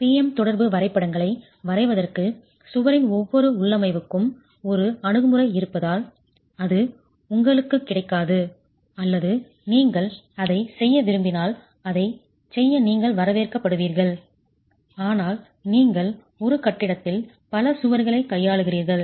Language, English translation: Tamil, And since one approach would be for each configuration of wall to draw the PM interaction diagrams, which is not available to you or if you want to do that, you are welcome to do that but you are dealing with several walls in a building